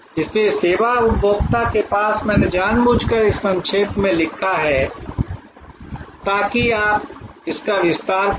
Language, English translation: Hindi, So, to the service consumer I have just deliberately written in it short, so that you will expand it